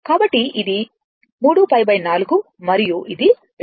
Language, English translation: Telugu, So, it is 3 pi by 4 and it is 2 pi right